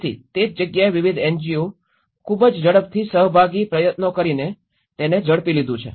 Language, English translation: Gujarati, So, that is where different NGOs have taken that very quickly with great participatory efforts